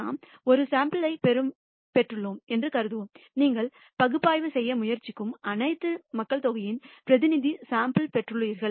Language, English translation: Tamil, We will assume that we have obtained a sample; you have done the due diligence and obtained the representative sample of whatever population you are trying to analyze